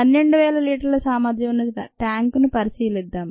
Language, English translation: Telugu, let us consider a tank of twelve thousand liter capacity